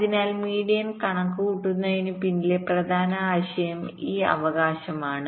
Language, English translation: Malayalam, so the essential idea behind calculating median is this, right